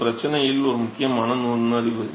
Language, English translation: Tamil, So, that is an important insight into the problem